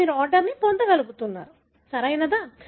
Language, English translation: Telugu, Now, you are able to get the order, right